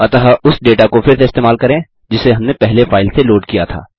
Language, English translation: Hindi, So let us reuse the data we have loaded from the file previously